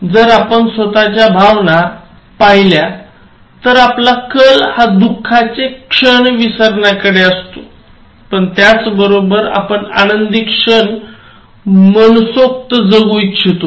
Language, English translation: Marathi, In life, if you look at our own emotions, we tend to forget sad moments, but we would like to cherish happy occasions